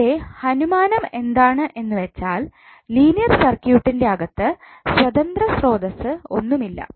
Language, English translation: Malayalam, Now, the assumption is that there is no independent source inside the linear circuit